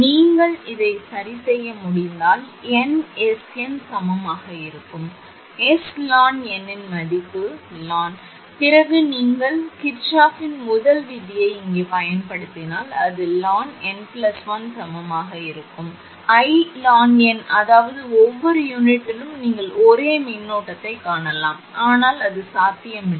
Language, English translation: Tamil, If you can adjust this S n value such that your I n will be I n dash I mean equal current then if you apply Kirchhoff’s first law here, then it will it will find I n plus 1 is equal to I n that may be every unit you will find the same current, but which is not possible